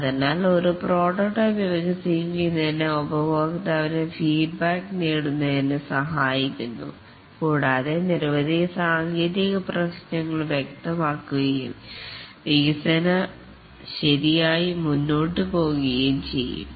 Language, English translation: Malayalam, So, developing a prototype helps in getting the customer feedback and also many technical issues are clarified and the development can proceed correctly